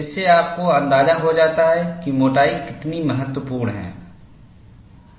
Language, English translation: Hindi, This gives you an idea, how the thickness is very important